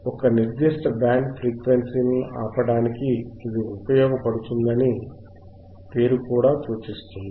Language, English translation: Telugu, The name itself indicates that it will be used to stop a particular band of frequencies right